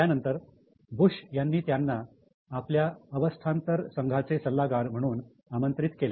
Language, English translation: Marathi, And in 2001, Bush had invited him to become advisor of his transition team